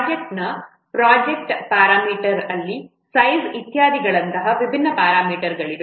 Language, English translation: Kannada, In a project parameter, in a project there are different parameters such as size, etc